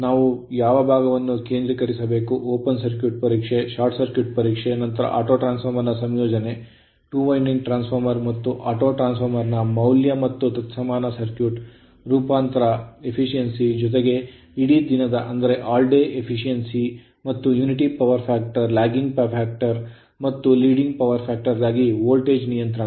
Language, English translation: Kannada, Only thing what portion we have to your concentrate that is open circuit test, short circuit test, then your auto transformer right composition of the value of 2 winding transformer and autotransformer right and equivalent circuit and transformation and the efficiency as well as the all day efficiency and the voltage regulation for at unity power factor lagging power factor and leading power factor right